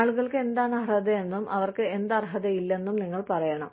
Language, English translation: Malayalam, You need to tell people, what they are entitled to, and what they are not entitled to